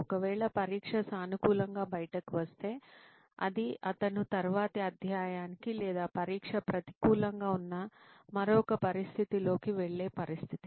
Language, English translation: Telugu, Then if the test comes out positive then it is a situation for him where he can move on to a next chapter or in another situation where the test is negative